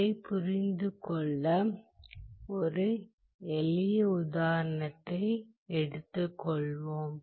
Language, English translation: Tamil, Let us take a simple example to understand this